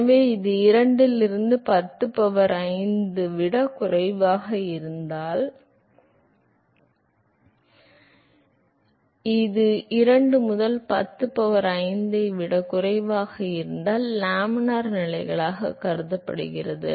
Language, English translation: Tamil, So, if this is less than 2 into 10 power 5 this is less than 2 into 10 power 5 it is considered as laminar conditions